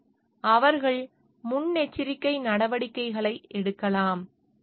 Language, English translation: Tamil, So, they can take precautionary measures